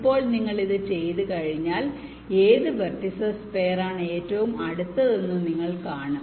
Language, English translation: Malayalam, now, once you do this, ah, ah, you see that which pair of vertices are the closest